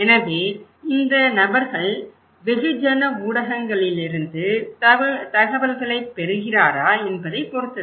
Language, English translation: Tamil, So, it depends that if this person is getting informations from the mass media